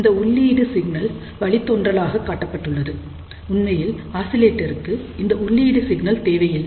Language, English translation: Tamil, This is only to show you there is a input signal for derivation; in reality for oscillator we do not require this input signal